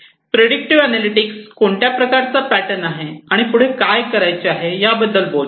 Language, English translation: Marathi, Predictive analytics talks about what is next, what is the pattern that is there